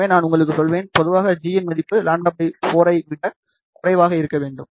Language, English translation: Tamil, So, I will just tell you, generally speaking this value of g should be less than lambda by 4